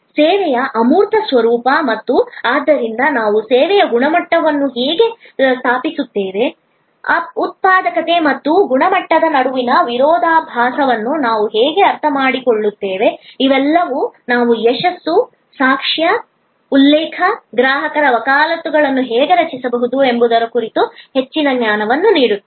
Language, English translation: Kannada, The intangible nature of service and therefore, how do we establish quality of service, how do we understand the paradox between productivity and quality, all these will give us further knowledge about how we can create success, testimony, referral, customer advocacy